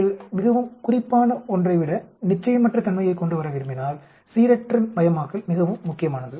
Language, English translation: Tamil, Randomization is also very important if you want to bring in uncertainty rather than being very specific